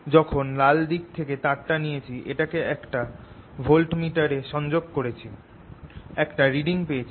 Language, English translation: Bengali, when i took the wires from this red side, i connected this to a voltmeter, i got one reading